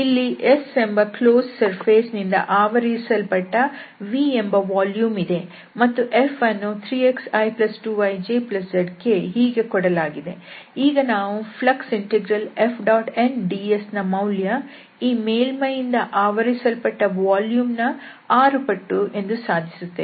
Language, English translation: Kannada, So, here we will see that if V is the volume enclosed by a closed surface S and this F is given by 3 times x, 2 times y and z times this K, then we will show that this flux integral F dot n ds is nothing but 6 times the volume of this surface